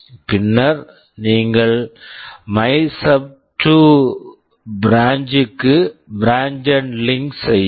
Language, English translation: Tamil, Then you branch to MYSUB2 branch and link